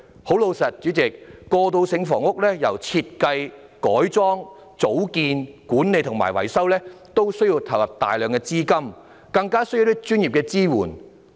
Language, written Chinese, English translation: Cantonese, 代理主席，對於過渡性房屋，由設計、改裝、組建、管理，以至維修，均需要投入大量資金，更需要專業的支援。, Deputy President concerning transitional housing it will require substantial input of fund and professional support from its design conversion organization management to its maintenance